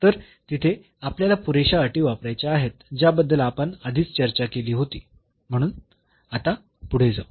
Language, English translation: Marathi, So, that there we have to use the sufficient conditions that were discussed before so, moving a next now